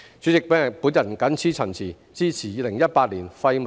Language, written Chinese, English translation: Cantonese, 代理主席，我謹此陳辭，支持《條例草案》恢復二讀。, With these remarks Deputy President I support the resumption of the Second Reading of the Bill